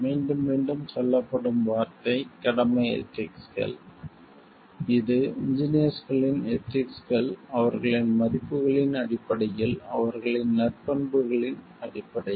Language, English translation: Tamil, The word which is getting repeated again and again is the duty ethics; it is the ethics of the engineers in terms of their values, in terms of their virtues